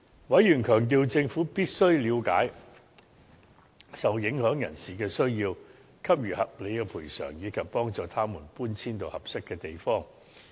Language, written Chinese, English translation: Cantonese, 委員強調，政府必須了解受影響人士的需要，給予合理的賠償，以及幫助他們搬遷至合適的地方。, Members stressed that the Government must understand the needs of the people to be affected by the development and provide reasonable compensation and assistance for them to relocate to other suitable places